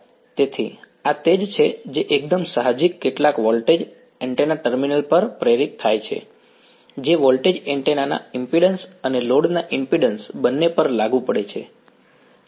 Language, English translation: Gujarati, So, this is the same is that fairly intuitive right some voltage is induced across the antenna terminals that voltage is falling across both the impedance of the antenna and the impedance of the load